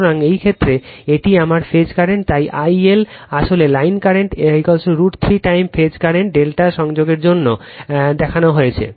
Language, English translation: Bengali, So, in this case this is my phase current, so I L actually line current is equal to root 3 time phase current for delta connection right shown